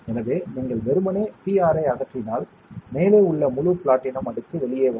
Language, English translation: Tamil, So, if you just simply remove the PR, whole platinum layer on top of will come out